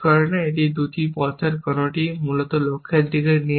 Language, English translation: Bengali, None of these two paths leads to the goal, essentially